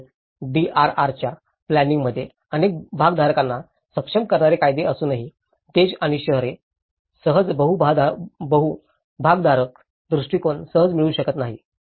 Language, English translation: Marathi, Also, the despite legislation enabling multiple stakeholders, inputs into planning of DRR, nations and cities do not easily achieve a true multi stakeholder perspective